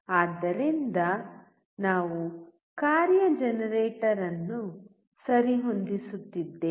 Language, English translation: Kannada, So, we are just adjusting the function generator